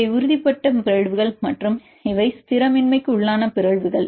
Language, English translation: Tamil, These are the mutations which is stabilized and these are the mutations destabilized